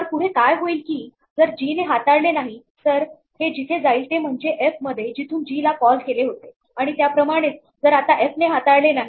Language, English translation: Marathi, So, what will happen next is that if g does not handle it then this will go back to where g was called in f and likewise if now f does not handle it then it will go back to where f was called in the main program